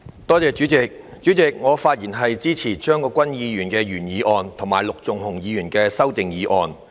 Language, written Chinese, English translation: Cantonese, 代理主席，我發言支持張國鈞議員的原議案和陸頌雄議員的修正案。, Deputy President I speak in support of Mr CHEUNG Kwok - kwans original motion and Mr LUK Chung - hungs amendment